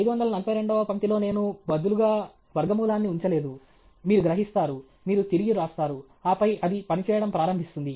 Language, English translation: Telugu, in line 542 I didn’t put the square root instead of the… you will realize, you will come back, and then, it will start working okay